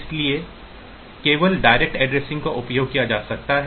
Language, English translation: Hindi, So, in on the only direct addressing it can be used